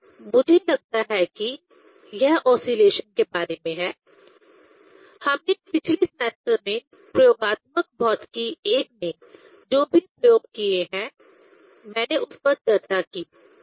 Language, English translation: Hindi, I think this is the about the oscillation, I discussed whatever the experiment we have demonstrated in last semester, in experimental physics 1